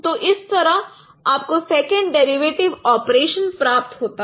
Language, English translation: Hindi, So that is how you get the second derivative operations